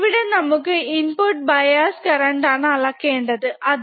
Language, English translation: Malayalam, So, here we have to measure input bias current right